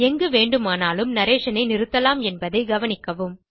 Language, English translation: Tamil, Please note that one can stop the narration at any time